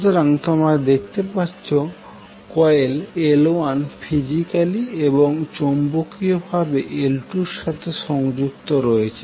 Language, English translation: Bengali, So if you see that coil L1 is connected to L2 physically as well as magnetically